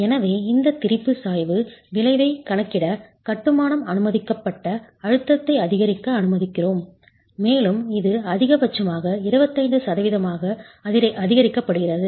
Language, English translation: Tamil, So, to account for this strain gradient effect, we allow for the masonry permissible compressive stress to be increased and it is increased to about 25% maximum